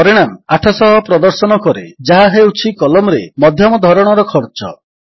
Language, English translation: Odia, The result shows 800, which is the median cost in the column